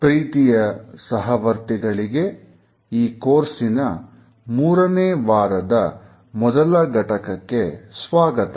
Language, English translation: Kannada, Dear participants, welcome to week 3, module 1, in our course